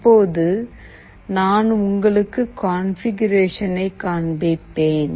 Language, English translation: Tamil, Now I will be showing you the configuration